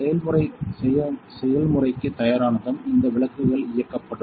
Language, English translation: Tamil, So, once the process is ready to do process these lights will turn on